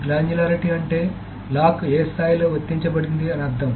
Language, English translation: Telugu, So the granularity essentially means at which level the lock is applied